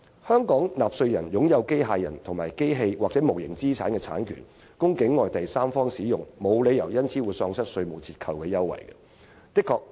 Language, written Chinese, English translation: Cantonese, 香港納稅人擁有機械人、機器或無形資產的產權，供境外第三方使用，沒有理由因而喪失稅務折扣優惠。, It is unreasonable to rip Hong Kong taxpayers of any tax deductions or concessions just because they provide their robots machinery and intellectual property rights of intangible assets for third - party use outside Hong Kong